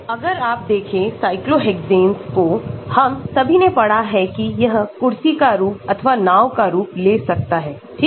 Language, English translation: Hindi, So, if you look at cyclohexanes we all have studied it can take chair form or boat form and so on right